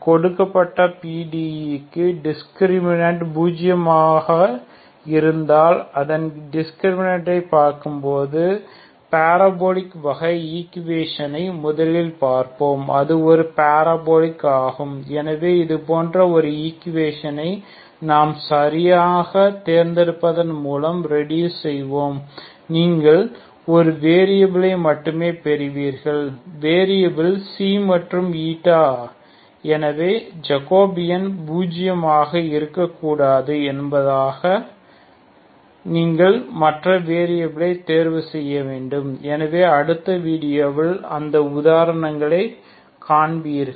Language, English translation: Tamil, Will first see will try to take partial parabolic type of equation just (())(38:50) looking at its discriminate if the discriminate is zero for a given PDE then it is a parabolic so such an equation we will reduce by choosing we have to choose a properly you will only get one variable either Xi or eta so you have to choose the other variable such a way that jacobian should not be zero, so will see that example in the next video, thank you very much